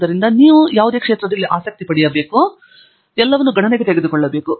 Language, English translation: Kannada, So, there is multiple factors that influence what you may get interested in and you should take all of those into account